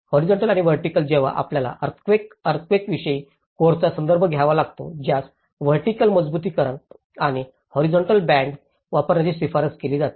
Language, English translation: Marathi, So horizontally and vertically when we need to refer with the earthquake seismic course which recommends that have a vertical reinforcement and as well as the horizontal bands